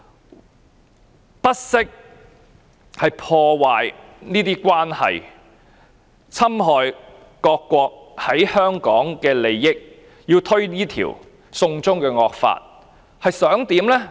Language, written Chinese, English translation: Cantonese, 她不惜破壞這些關係，侵害各國在香港的利益，推動這條"送中"惡法，究竟想怎麼樣呢？, She would go to any length to do this even if she needs to ruin these relationships and undermine the interests of different countries in Hong Kong